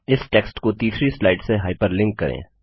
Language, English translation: Hindi, Insert a picture on the 3rd slide